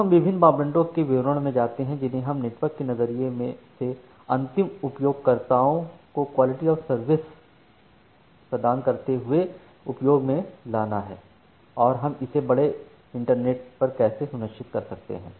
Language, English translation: Hindi, Now let us go into the details of different parameters, which we need to play with while providing quality of service to the end users from the network perspective and how we can insure it over a large internet